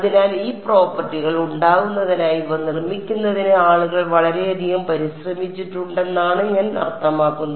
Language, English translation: Malayalam, So, this is I mean people went through a lot of effort to make these to construct these so as to have these properties